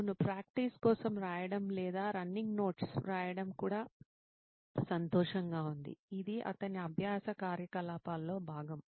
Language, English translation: Telugu, Then writing for practice or running notes is also happy it is part of his learning activity